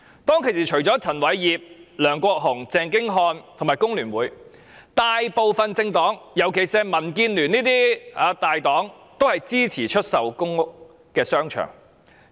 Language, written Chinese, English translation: Cantonese, 當時除了陳偉業、梁國雄、鄭經翰和工聯會外，大部分政黨，特別是民建聯這些大黨均支持政府出售公屋商場。, At that time apart from Albert CHAN LEUNG Kwok - hung Albert CHENG and FTU most of the major political parties in particular like DAB supported the Government in selling the shopping arcades in public housing estates